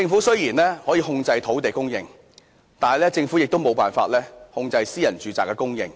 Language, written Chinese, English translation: Cantonese, 雖然政府可以控制土地供應，但政府沒有辦法控制私人住宅的供應。, Although the Government has control on land supply it has no means to control the supply of private housing units